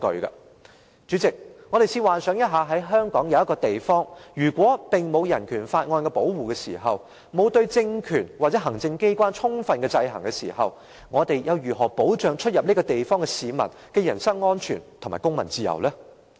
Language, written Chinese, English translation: Cantonese, 代理主席，我們試想一下，如果香港有一個地方不受《香港人權法案條例》保護，對政權或行政機關沒有充分制衡，我們又如何保障進出這地方的市民的人身安全和公民自由？, Deputy Chairman come to think about it . If a place in Hong Kong is not under the protection of BORO and there are not sufficient checks and balances on the political regime or the executive how can we protect the personal safety and civil liberty of members of the public entering and leaving this place?